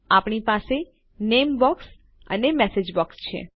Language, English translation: Gujarati, We have our name box and our message box